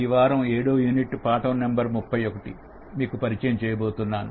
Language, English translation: Telugu, This is week number seven, unit number one and lesson number 31